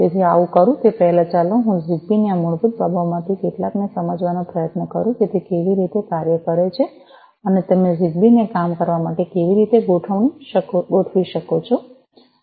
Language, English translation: Gujarati, So, before I do so, let me just try to go through some of these basics of ZigBee how it works and how you can configure ZigBee for working